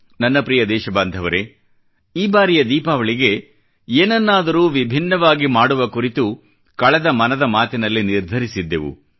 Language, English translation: Kannada, My dear countrymen, in the previous episode of Mann Ki Baat, we had decided to do something different this Diwali